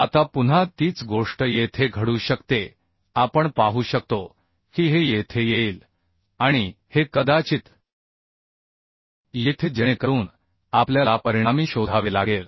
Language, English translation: Marathi, Now again same thing may happen here we can see that this will come here and this may come here so we have to find out the resultant here